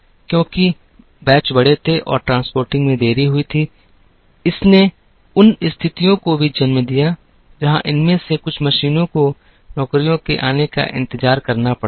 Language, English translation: Hindi, Because, batches were large and there were delays in transporting, it also led to situations, where some of these machines had to wait for jobs to come